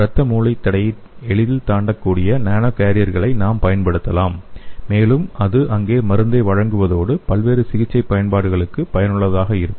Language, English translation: Tamil, We can use the nano carriers which can easily cross the blood brain barrier and it can deliver the drug and which could be useful for various therapeutic applications